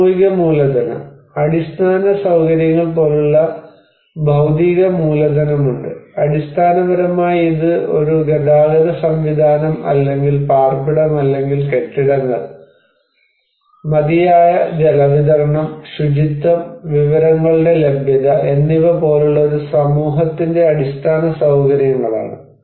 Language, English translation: Malayalam, And then after social capital, we have physical capital like basic infrastructures and basically it is the infrastructure of a community like a transport system or shelter or buildings, adequate water supply, sanitation, access to information